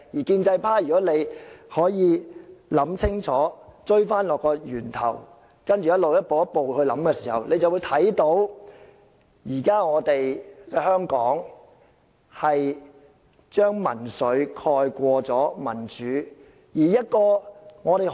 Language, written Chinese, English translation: Cantonese, 建制派同事如果能夠想清楚，追溯到源頭，再一步一步思考，他們便會看到，現時在香港是民粹蓋過民主。, If pro - establishment Members can be level - headed and consider the matter from its beginning step by step they would have noticed that democracy has been overtaken by populism in Hong Kong nowadays